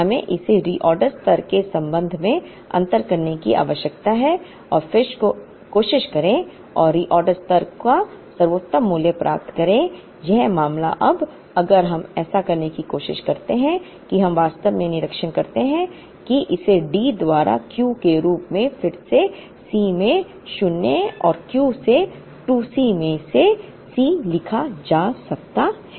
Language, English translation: Hindi, We need to differentiate this with respect to the reorder level and then try and get the best value of the reorder level as in this case now, if we try to do that we actually observe that this can be rewritten as D by Q into C naught plus Q by 2 into C c